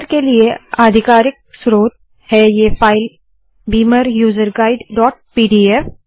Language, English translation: Hindi, The authoritative source for beamer this beamer user guide dot pdf